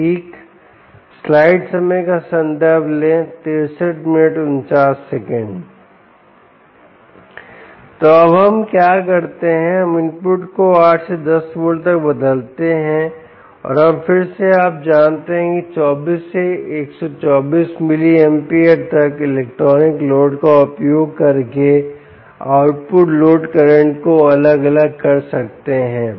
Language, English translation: Hindi, so now what we do is we change the input from ah from eight to ten volts and we again ah, you know, vary the output load current using that electronic load, from twenty four to one twenty four milliamperes